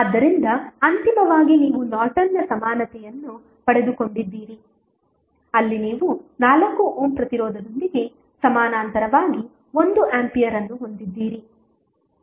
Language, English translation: Kannada, So, finally you got the Norton's equivalent where you have 1 ampere in parallel with 4 ohm resistance